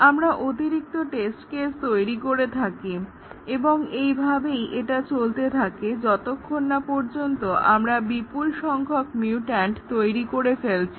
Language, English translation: Bengali, We create additional test cases and that is the way it goes on until we have generated a large number of mutants